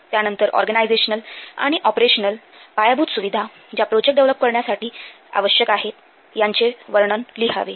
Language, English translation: Marathi, Then the organizational and operational infrastructure that will be required to develop the project that must be described